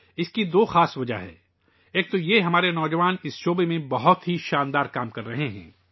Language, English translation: Urdu, There are two special reasons for this one is that our youth are doing wonderful work in this field